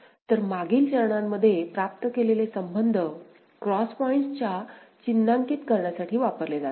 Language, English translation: Marathi, So, relationship obtained in the previous steps are used for further marking of cross points